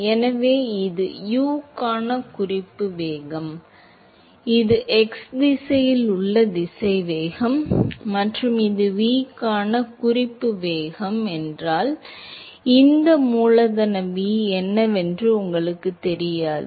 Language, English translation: Tamil, So, this is the reference velocity for U that is the velocity in the x direction and if this is the reference velocity for V, this you do not know what this capital V is